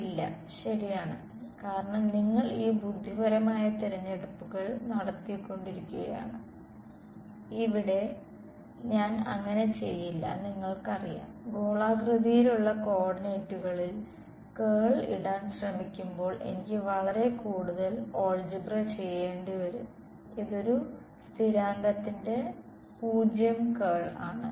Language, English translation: Malayalam, No, right and the reason is because you made these intelligent choices, here I did not go about you know trying to put in the curl in the spherical co ordinates right I would have I have to do lot more algebra this is 0 curl of a constant